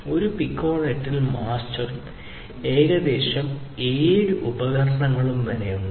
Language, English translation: Malayalam, So, within a Piconet you have a mastered master and up to about 7 devices